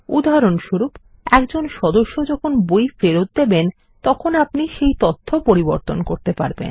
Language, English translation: Bengali, For example, when a member returns a book, we can update this information